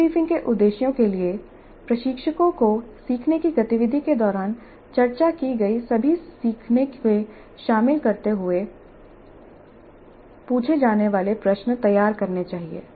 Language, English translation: Hindi, So, for the debriefing purposes, instructors must prepare questions to be asked covering all the learning that has been discussed during the learning activity